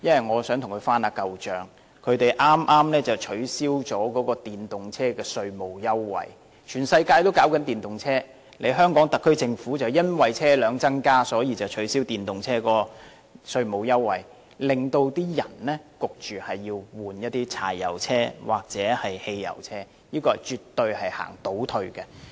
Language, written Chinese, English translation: Cantonese, 我想跟局方翻舊帳，他們剛剛取消了電動車的稅務優惠，全世界也在推廣電動車，但香港特區政府卻因為車輛數目增加而取消電動車的稅務優惠，迫使市民更換柴油車或汽油車，這絕對是個倒退。, I wish to bring up old scores of the Transport and Housing Bureau the Bureau which has just cancelled the tax concession for electric vehicles . The whole world is promoting electric vehicles but the Hong Kong Government has cancelled the tax concession for electric vehicles due to an increase in the number of vehicles forcing people to replace them with diesel or petrol cars . This is absolutely a regression